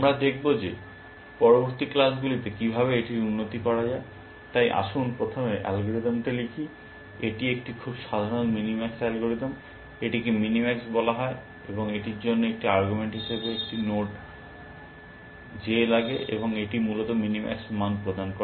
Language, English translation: Bengali, We will see, how to improve upon that in that following classes, so let we first write the algorithm, it is a very simple algorithm minimax, it is call minimax, and it takes a node J